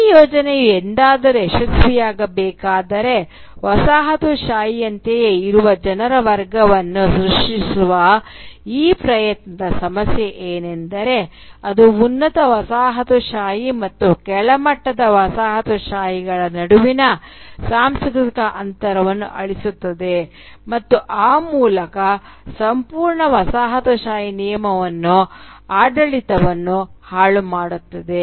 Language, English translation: Kannada, ” Now the problem with this effort to create a class of colonised people who are exactly like the coloniser is that if the project is ever to succeed then it will erase the assumed cultural gap between the superior coloniser and the inferior colonised, and thereby undermine the entire colonial process, entire colonial rule